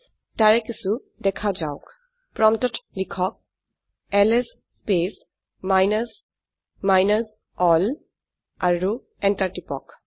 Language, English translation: Assamese, Let us see some of them, Type at the prompt ls space minus minus all and press enter